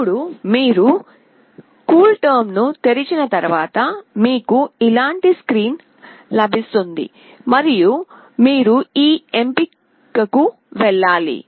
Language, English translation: Telugu, Now once you open the CoolTerm you will get a screen like this and then you have to go to this option